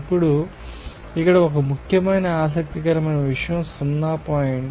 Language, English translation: Telugu, Now, one important interesting point here is O point